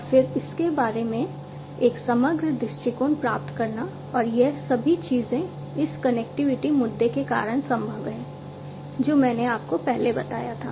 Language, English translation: Hindi, And then getting an a holistic view of it and all these things are possible due to this connectivity issue, that I told you the earlier